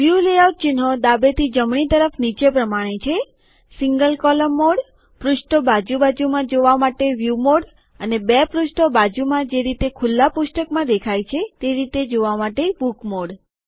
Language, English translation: Gujarati, The View Layout icons from left to right are as follows: Single column mode, view mode with pages side by side and book mode with two pages as in an open book